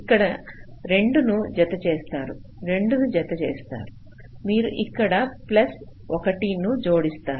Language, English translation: Telugu, let say you add plus two here, you add plus two here, you add plus one here